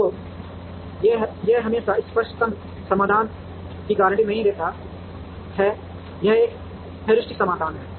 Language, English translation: Hindi, So, it does not guarantee the optimal solution always, it is a heuristic solution